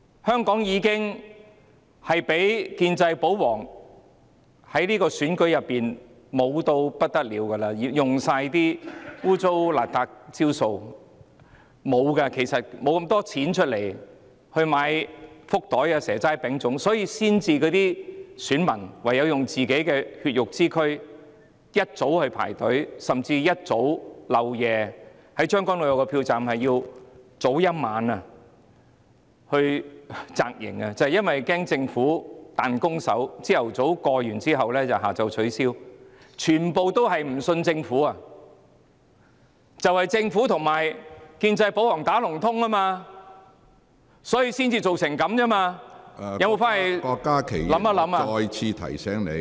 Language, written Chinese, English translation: Cantonese, 香港的選舉已經任由建制、保皇操控，他們用盡所有骯髒不堪的招數，對手沒有這麼多錢買福袋、"蛇齋餅粽"，所以選民唯有用自己的血肉之軀，一早起床排隊投票，甚至將軍澳有個票站有選民要提早一晚到場扎營，就是怕政府"彈弓手"，早上夠票下午取消票站，全部人也不信任政府，正是因為政府和建制保皇串通，所以才會造成這個情況，有否回去想一想呢？, The elections in Hong Kong are controlled by the pro - establishment pro - Government camps who exhaust all dirty tricks . The opposition did not have so much money to buy giveaways and offer free snake banquets vegan feasts moon cakes and rice dumplings so voters had to use their bodies and get up early in the morning to line up for polling . In a polling station in Tseung Kwan O some voters pitched tents there the night before fearing that the Government would play tricks by cancelling polling stations after securing enough votes in the morning